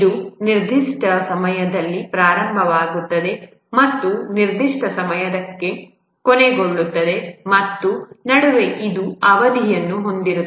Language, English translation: Kannada, It will start at certain time and end by certain time and And in between, it will have a duration